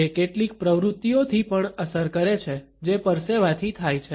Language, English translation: Gujarati, It is also influenced by certain activities which may be sweat inducing